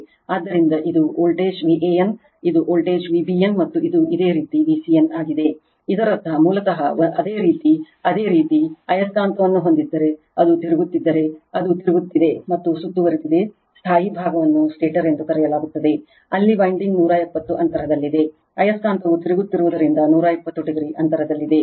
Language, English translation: Kannada, So, this is voltage V a n, this is V b n, and this is your V c n right so that means, basically what a your you have you have a magnet if it is rotating it is rotating, and is surrounded by a static part that is called stator, where windings are placed 120 degree apart right, 120 degree apart as the magnet is rotating right